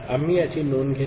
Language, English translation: Marathi, We take note of that